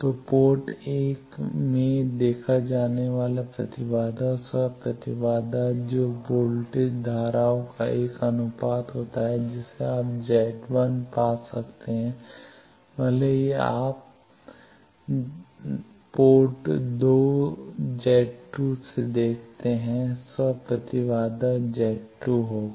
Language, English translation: Hindi, So, impedance seen in port 1, self impedance that will be a ratio of voltage currents you can find Z 1, also if you look from port 2 Z 2 will be self impedance Z 2 will be these